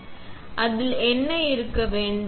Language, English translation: Tamil, So, what should it have